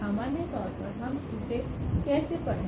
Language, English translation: Hindi, In general, how do we read this